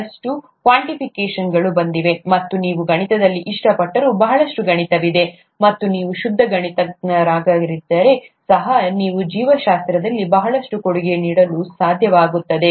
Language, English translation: Kannada, A lot of quantification has come in, and there’s a lot of math even if you like math, and you would be able to contribute a lot in biology even if you are a pure mathematician